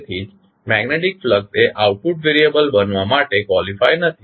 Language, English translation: Gujarati, So, that is why the magnetic flux does not qualify to be an output variable